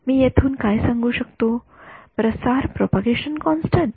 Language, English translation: Marathi, What can I say from here, the propagation constant